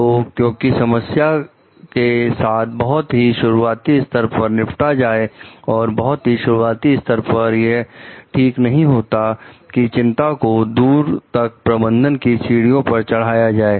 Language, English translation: Hindi, So, because like dealing with the problem at a very earlier stage is it makes it very easy to solve, and at an early stage it is not very usually appropriate to take one concerns very far up the management ladder